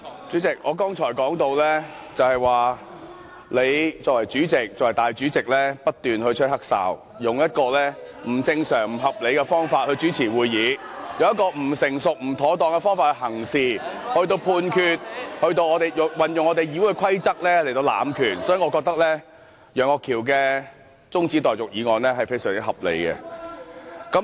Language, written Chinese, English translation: Cantonese, 主席，我剛才說到，你身為立法會主席不斷吹"黑哨"，以不正常和不合理的方法來主持會議，以不成熟和不妥當的方法行事和作出判決，運用《議事規則》來濫權，所以，我覺得楊岳橋議員提出的中止待續議案是非常合理的。, President I was saying that as the President of the Legislative Council you have not ceased playing a corrupt referee who conducts the meeting in an abnormal and unreasonable manner and act and make rulings in an immature and improper manner to abuse your powers in applying the Rules of Procedure . For this reason I consider the adjournment motion proposed by Mr Alvin YEUNG most reasonable